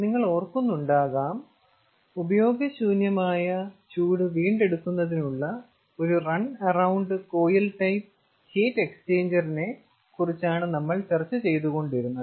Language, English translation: Malayalam, if you recall, we were discussing regarding run around coil, which is a special kind of heat exchanger for waste heat recovery